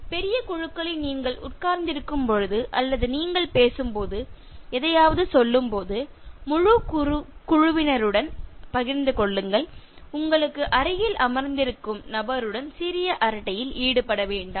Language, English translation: Tamil, In large groups, when you are sitting or when you are talking address all in the sense that when you say something so share it with the entire group, do not indulge in small chat with the person sitting next to you